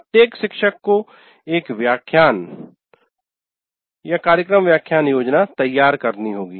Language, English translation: Hindi, That is every teacher will have to prepare a lecture schedule or a lecture plan